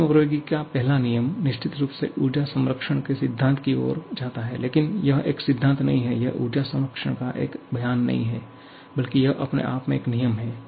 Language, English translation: Hindi, First law of thermodynamics definitely leads to the principle of energy conservation but it is not a principle, it is not a statement of energy conservation rather it is a law by its own right